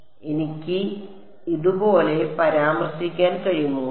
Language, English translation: Malayalam, So, can I refer to like this